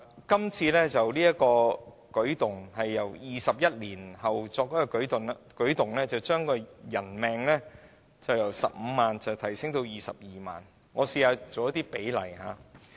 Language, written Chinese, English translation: Cantonese, 這次修訂距離上一次修訂已有21年時間，把人命的價值由15萬元提升至22萬元。, Twenty - one years have passed between this amendment exercise and the previous one and the value of a human life is increased from 150,000 to 220,000